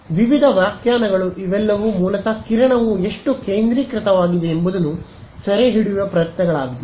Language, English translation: Kannada, Various definitions all of them are basically attempts to capture how focused the beam is